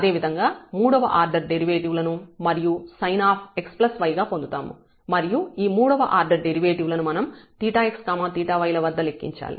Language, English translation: Telugu, So, the third order derivatives similarly we will get back to again the sin x plus y and for the third order derivative we need to compute at theta x point